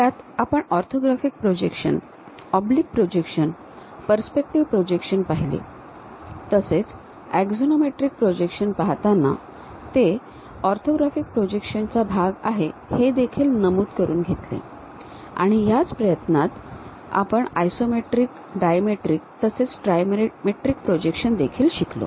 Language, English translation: Marathi, In that we noted down orthographic projections, oblique projections and perspective projections where we in detail went with axonometric projections which are part of orthographic projections; in that try to learn about isometric projections, dimetric and trimetric